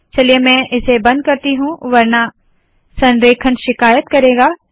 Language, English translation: Hindi, Let me close this otherwise alignment will complain